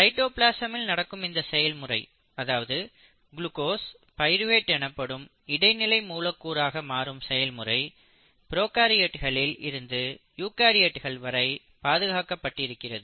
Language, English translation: Tamil, This machinery in cytoplasm which breaks down glucose intermediate, to its intermediate molecule called pyruvate is conserved across prokaryotes to eukaryotes